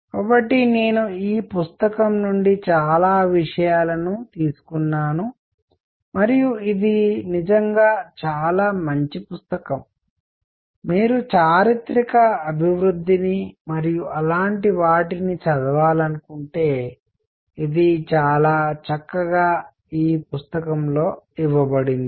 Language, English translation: Telugu, So, I have taken most of these materials from this book and this is really a very nice book, if you want to read the historical development and things like those, this is very nicely given in this book